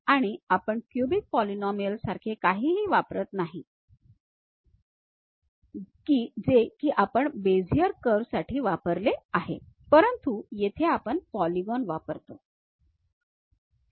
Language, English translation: Marathi, And we do not use anything like cubic polynomials, like what we have used for Bezier curves, but here we use polygons